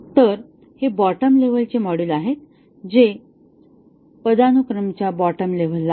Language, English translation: Marathi, So, these are the lower level modules which are at the bottom of the hierarchy